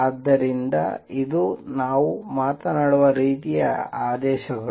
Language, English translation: Kannada, So, that is the kind of orders we talking about